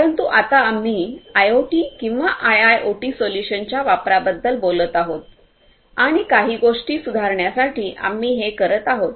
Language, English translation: Marathi, But only now we are talking about the use of IoT or IIoT solutions and we are doing that in order to improve certain things